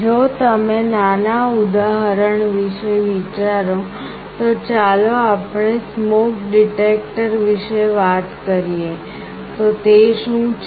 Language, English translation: Gujarati, If you think of a small example, let us say a smoke detector, what is it